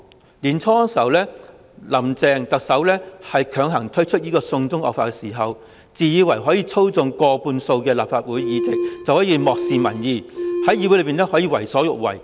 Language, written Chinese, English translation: Cantonese, 今年年初，"林鄭"特首強行推出"送中惡法"時，自以為可以操縱過半數的立法會議席，可以因而漠視民意，在議會內為所欲為。, At the beginning of this year when Chief Executive Carrie LAM forced through the draconian China extradition bill she thought she could control more than half of the seats in this Council hence she ignored public opinions and did whatever she wanted in this Council